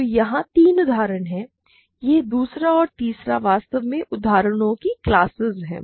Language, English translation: Hindi, So, we have three examples here; this second and third are in fact, classes of examples